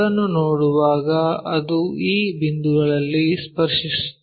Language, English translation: Kannada, When we are looking at that it just touch at this points